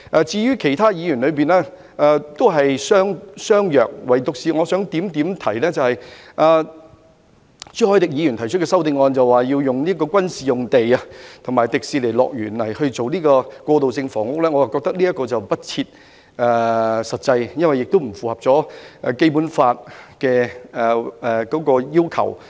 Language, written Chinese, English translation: Cantonese, 至於其他議員的修正案，內容都是相若的，唯獨我想指出，朱凱廸議員提出的修正案建議使用軍事用地及迪士尼樂園來興建過渡性房屋，我覺得這是不切實際，亦不符合《基本法》的要求。, As for the amendments moved by other Members the contents are more or less the same . I only want to talk about the amendment proposed by Mr CHU Hoi - dick about the use of military land and the Disneyland to build transitional housing units . I find this impracticable and does not meet the requirements of the Basic Law